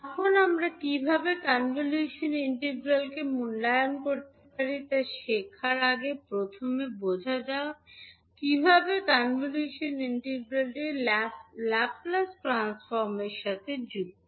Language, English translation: Bengali, Now before learning how we can evaluate the convolution integral, let us first understand how the convolution integral is linked with the Laplace transform